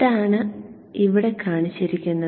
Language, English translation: Malayalam, So that is what will come here